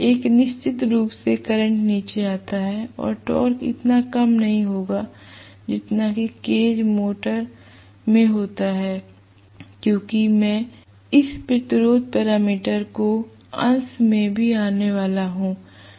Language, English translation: Hindi, One is definitely the current comes down, no doubt, and torque does not get as reduced as in the case of cage motor because I am going to have this resistance parameter even coming up in the numerator right